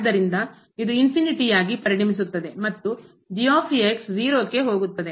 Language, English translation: Kannada, So, this will become infinity and goes to 0